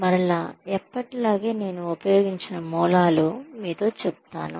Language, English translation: Telugu, So again, as always, I will share the sources, I have used with you